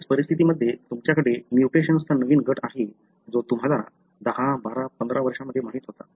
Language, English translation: Marathi, So, in several conditions and also you have anew group of mutation that we knew, about in last 10, 12, 15 years